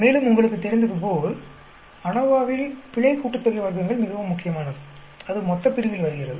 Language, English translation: Tamil, And as you know in ANOVA, the error sum of squares is very very important; that comes in the denominator